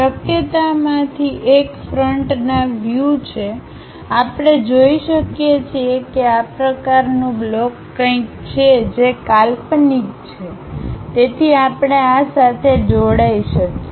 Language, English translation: Gujarati, One of the possibility is from frontal view, we can see that there is something like this kind of block, which is imaginary, so we can join along with our this one